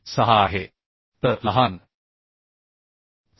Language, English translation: Marathi, 6 so 7